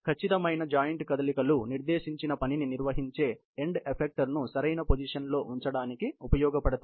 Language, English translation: Telugu, Accurate joint movements are reflected in correct positioning of the end effectors, which eventually carry out the prescribed task